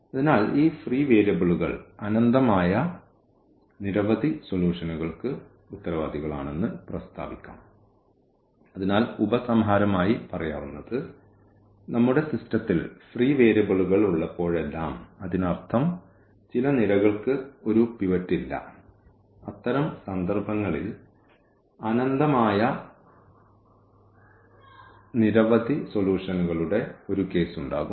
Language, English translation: Malayalam, So, just to remark, that these free variables are the responsible for infinitely many solutions, so, in conclusion whenever we have free variables in our system; that means, some columns do not have a pivot and in that case there will be a case of this infinitely many solutions